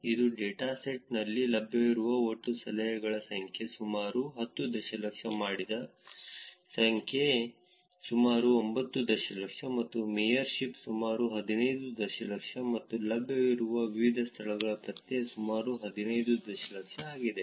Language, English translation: Kannada, It is the total number of tips that are available in the dataset is about 10 million, total number of dones is about 9 million, and mayor ship is about 15 million and different venues that are available are about 15 million again